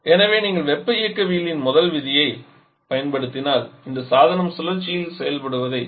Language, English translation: Tamil, So if you apply first law of thermodynamics on this then as this device is acting over a cycle